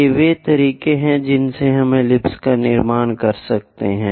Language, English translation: Hindi, These are the ways we construct ellipse